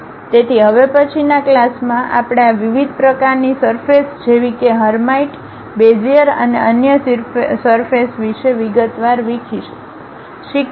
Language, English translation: Gujarati, So, in the next class we will in detail learn about these different kind of surfaces like hermite, Bezier and other surfaces